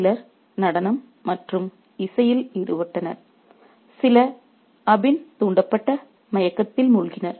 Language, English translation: Tamil, Some were engrossed in dance and music, some just reveled in the drowsiness induced by opium